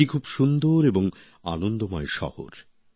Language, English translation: Bengali, It is a very cheerful and beautiful city